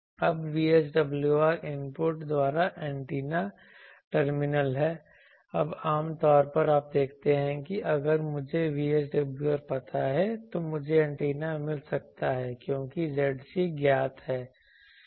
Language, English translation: Hindi, Now VSWR is the at the antenna terminal by input now generally in the a time actually you see that if I know VSWR I can find the antenna because the Zc is known